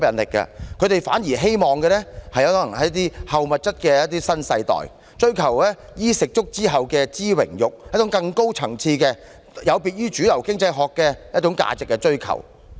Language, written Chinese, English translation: Cantonese, 他們可能反而是"後物質主義"的新世代，追求"衣食足"之後的"知榮辱"，追求更高層次丶有別於主流經濟學的價值。, As they are well fed and well clad they are likely to be the post - materialism generation who pursue higher values rather than the mainstream economic values . President this phenomenon is not unique to Hong Kong